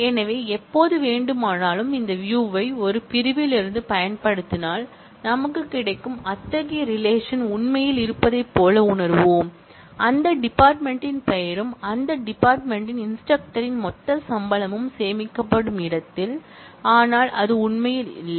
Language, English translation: Tamil, So, anytime we make use of this view in a from clause, we will get, we will feel as if such a relation really exists where the department name and the total salary of the instructors in that department are stored, but it really does not exist